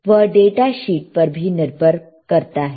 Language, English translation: Hindi, So, you have to look at the data sheet